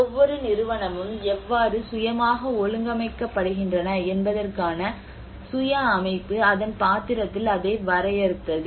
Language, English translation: Tamil, Also the self organization you know how each of the institution is self organized by itself in its role how they defined it you know